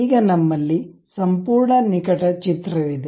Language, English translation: Kannada, Now, we have a complete close picture